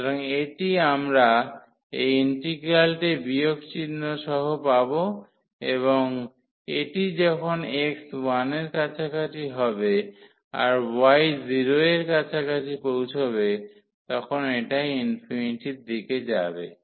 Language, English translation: Bengali, So, this we will get this integral as this minus sign and this will be approaching to infinity when x is approaching to 1 when x is approaching to 1 the y will approach to